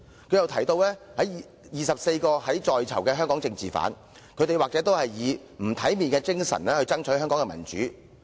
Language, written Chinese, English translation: Cantonese, 她又提到24個在囚的香港政治犯，他們都是以不體面的精神為香港爭取民主。, She also mentioned the 24 political prisoners in Hong Kong now behind bars saying that all of them had fought for Hong Kongs democracy in an undignified manner